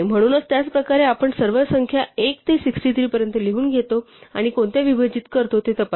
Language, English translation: Marathi, So, in the same way we write down the all the numbers from one to 63 and we check which ones divide